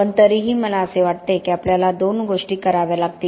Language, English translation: Marathi, But anyway I think there are two things that we have to do